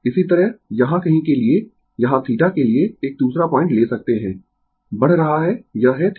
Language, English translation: Hindi, Similarly, for somewhere here here you can take another point here for theta is increasing this is the theta, right